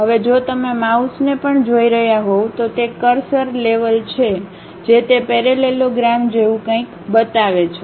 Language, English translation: Gujarati, Now, if you are seeing even the mouse it itself the cursor level it shows something like a parallelogram